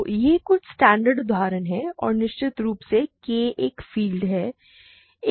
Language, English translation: Hindi, So, these are some of the standard examples and of course, K a field itself